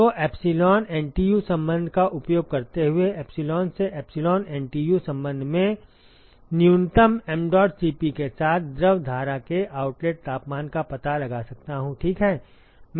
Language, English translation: Hindi, So, using the epsilon NTU relationship, epsilon NTU relationship from epsilon I can find out the outlet temperature of fluid stream with minimum mdot Cp, ok